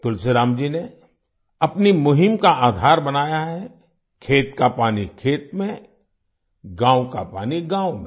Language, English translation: Hindi, Tulsiram ji has made the basis of his campaign farm water in farms, village water in villages